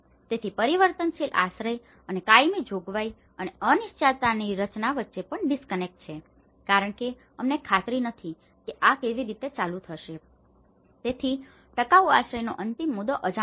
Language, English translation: Gujarati, So, also there is a disconnect between the transitional shelter and the permanent provision and design of uncertainty because we are not sure how this is going to turn out, so the durable shelter end point was unknown